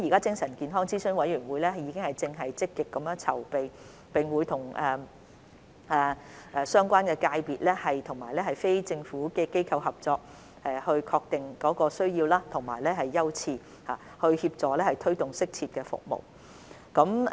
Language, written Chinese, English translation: Cantonese, 精神健康諮詢委員會正積極籌備，並會與相關界別及非政府機構合作確定需要和優次，協助或推動適切的服務。, Actively conducting the preparatory work the Advisory Committee on Mental Health will work with the relevant sectors and non - governmental organizations to identify needs and set priorities with a view to facilitating or promoting suitable services